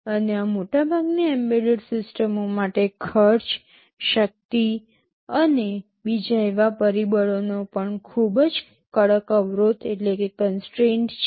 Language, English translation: Gujarati, And for most of these embedded systems there are very tight constraints on cost, energy and also form factor